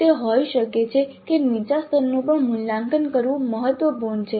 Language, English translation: Gujarati, It could be that it is important to assess even a lower level because it is important